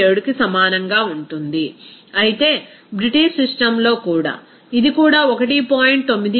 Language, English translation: Telugu, 987, whereas in British system, this will be also this 1